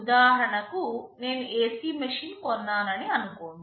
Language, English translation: Telugu, Let us say I have purchased an AC machine